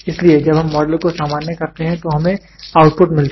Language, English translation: Hindi, So, moment we generalize model what we get an output is generic output